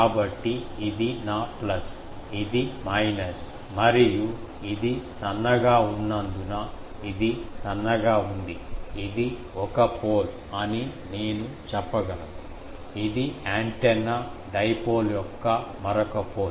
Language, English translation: Telugu, So, this is my plus, this is minus and since this is thin, this is thin, I can say this is one pole, this is another pole of the antenna dipole